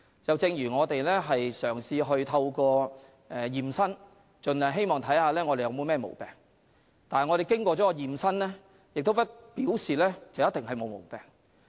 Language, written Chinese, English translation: Cantonese, 正如我們會進行驗身，看看自己是否有任何毛病，但完成驗身並不表示我們沒有毛病。, It is like a medical examination; we may undergo a medical examination to see if we have any health problem but the completion of the medical examination does not mean that we have no health problem